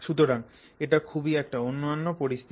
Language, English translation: Bengali, So, that is a very unique situation